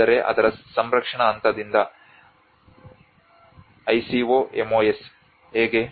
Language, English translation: Kannada, But then from the conservation point of it how the ICOMOS